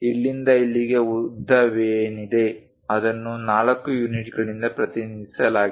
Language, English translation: Kannada, From here to here whatever length is there that's represented by 4 units